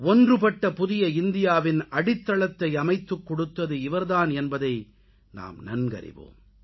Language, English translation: Tamil, All of us know that he was the one who laid the foundation stone of modern, unified India